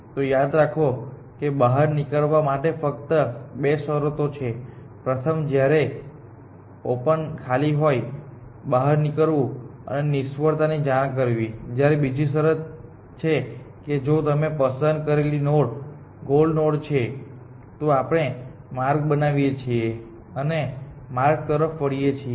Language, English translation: Gujarati, So, remember there are two conditions for exit; one is when open is empty exit and report failure, other condition is if the node that you have picked is the goal node, then we construct the path turn it on the path